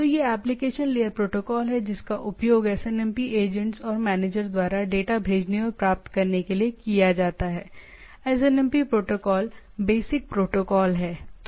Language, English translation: Hindi, So, it is a application layer protocol used by the SNMP agents and manager to send and receive data is the SNMP protocol basic protocol